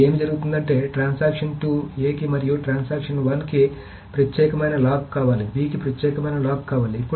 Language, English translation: Telugu, Now what happens is the transaction 2 wants an exclusive lock on A and transaction 1 wants an exclusive lock on B